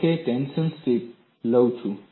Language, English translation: Gujarati, Suppose I take a tension strip